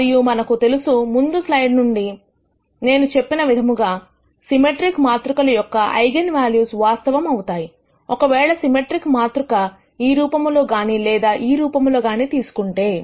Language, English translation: Telugu, And we know from the previous slide, I had mentioned that the eigenvalues of symmetric matrices are real, if the symmetric matrix also takes this form or this form